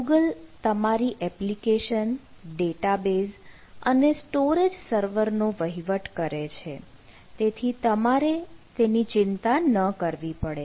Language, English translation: Gujarati, google manages your application database storage server, so you dont have to